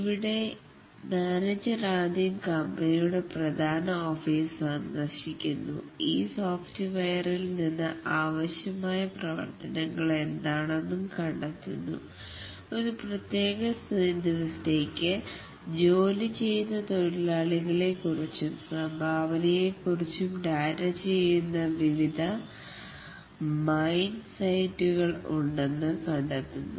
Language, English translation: Malayalam, And here the manager first visits the main office of the company, finds out what are the functionality is required from this software, finds that there are various mine sites where the data will be input about the miners who are working for a specific day and the contribution they make for that day towards the special provident fund scheme